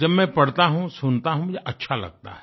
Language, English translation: Hindi, When I read them, when I hear them, it gives me joy